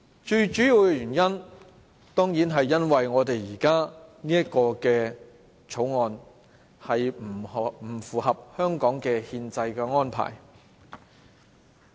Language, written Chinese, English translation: Cantonese, 最主要的原因，當然是因為我們現時這項《條例草案》不符合香港的憲制安排。, The chief reason is of course the inconsistency of this Bill with the constitutional arrangements of Hong Kong